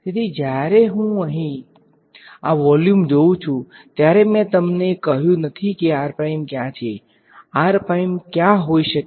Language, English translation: Gujarati, So, when I look at this volume over here I have not told you where r prime is r prime could either be in v 1 or it could be where